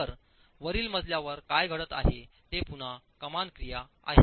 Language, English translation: Marathi, So what's happening above in the above story is again arching action